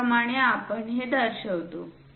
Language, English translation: Marathi, This is the way we show it